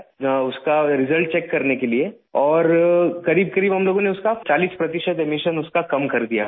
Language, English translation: Urdu, We then checked the results and found that we managed to reduce emissions by forty percent in these buses